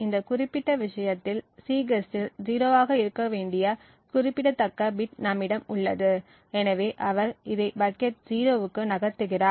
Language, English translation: Tamil, In this particular case we have the least significant bit to be 0 in Cguess and therefore he moves this to the bucket 0